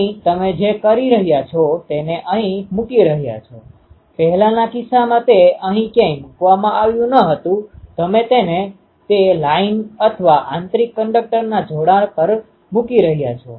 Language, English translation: Gujarati, Here what you are doing you are putting that this one; in previous case it was not put anywhere here you are putting it to the that line one or the inner conductor connecting one